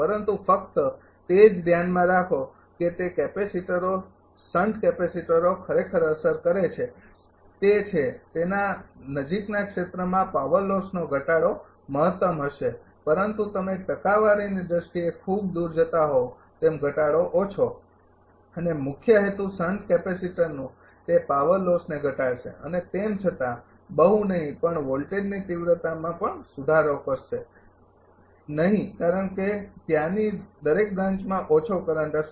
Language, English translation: Gujarati, But only thing keep it in your mind that capacitors sun capacitors effect actually it is it is local means in the nearby region power loss reduction will be maximum, but as you are moving far away in terms of percentage loss reduction will be low and main purpose of sun capacitor is, that it will reduce the power loss right and do not match it improves the voltage magnitude because every branch there will be less current